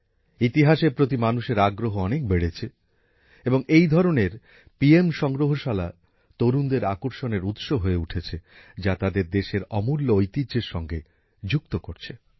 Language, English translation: Bengali, People's interest in history is increasing a lot and in such a situation the PM Museum is also becoming a centre of attraction for the youth, connecting them with the precious heritage of the country